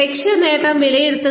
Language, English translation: Malayalam, Evaluate goal achievement